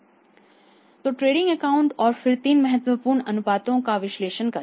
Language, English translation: Hindi, So, make analysis of the trading account and then the three important ratios